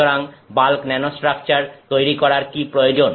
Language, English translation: Bengali, So, what is the need to create bulk nanostructures